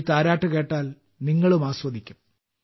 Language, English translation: Malayalam, Listen to it, you will enjoy it too